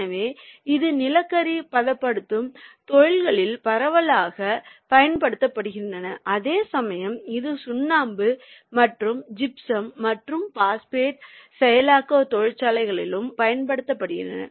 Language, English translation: Tamil, so thats why it is being widely used in coal processing industries, whereas it is also used in limestone, chalk and gypsum and phosphate processing industries also